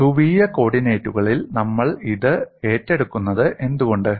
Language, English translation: Malayalam, Now we look at the problem in polar co ordinates